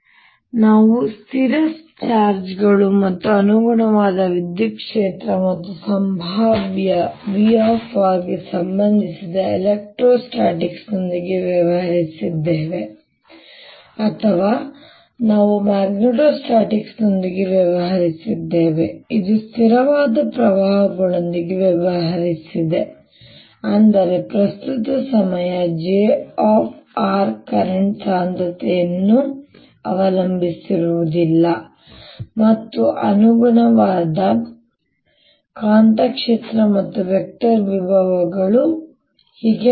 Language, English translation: Kannada, so we've dealt with electrostatics, which concerned itself with fixed charges and corresponding electric field and the potential v, r, or we dealt with magnetostatics, which dealt with steady currents news that means the current did not depend on time, j, r, current, density, the corresponding magnetic field and the vector potentials and so on